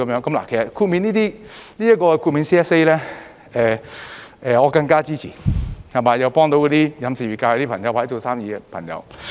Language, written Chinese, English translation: Cantonese, 其實 ，CSA 中的豁免，我是更加支持的，又可以幫助到飲食業界或做生意的朋友。, In fact the exemptions in the CSAs have my further support and they can also help friends of the catering sector or the business sector